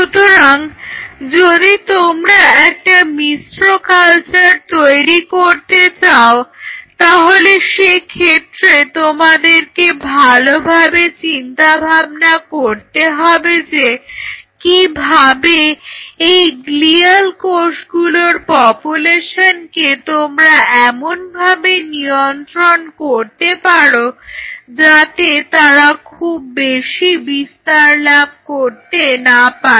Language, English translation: Bengali, So, you have to think of an optimized way if you want to do a mixed culture that how you can ensure that the population of glial cells are kept at check, that they do not proliferate So much